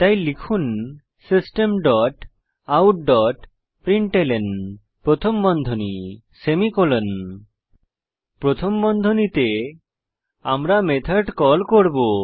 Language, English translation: Bengali, So type System dot out dot println() Within parenthesis we will call the method